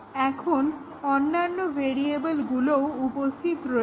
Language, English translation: Bengali, Now, there are other variables as well